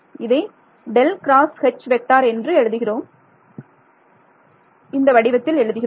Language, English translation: Tamil, So, let us maybe we will write it over here